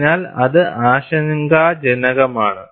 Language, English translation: Malayalam, So, that is worrisome